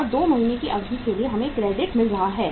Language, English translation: Hindi, 6,75,000 and for a period of 2 months we are getting a credit